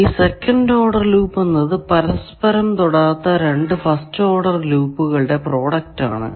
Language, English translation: Malayalam, Second order loop is product of any two non touching first order loop